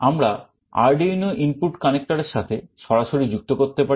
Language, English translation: Bengali, We can directly connect to the Arduino input connectors